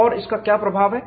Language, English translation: Hindi, And what is its influence